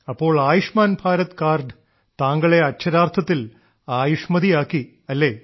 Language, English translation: Malayalam, So the card of Ayushman Bharat has really made you Ayushman, blessed with long life